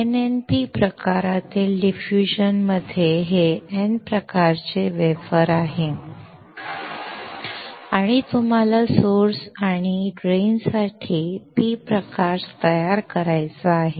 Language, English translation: Marathi, In NNP type of diffusion, let us say, this is N type wafer and you want to create a P type for source and drain